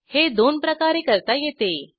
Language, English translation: Marathi, This can be done in 2 ways 1